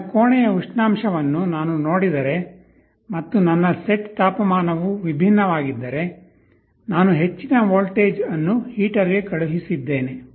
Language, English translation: Kannada, If I see my room temperature and my set temperature is quite different, I sent a high voltage to the heater